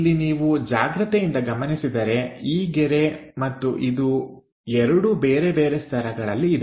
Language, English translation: Kannada, Here if you are noting carefully, this line and this one are different at different layers